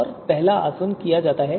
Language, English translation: Hindi, And the first distillation is performed